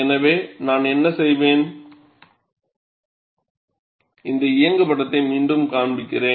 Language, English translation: Tamil, So, what I will do is, I will replay this animation again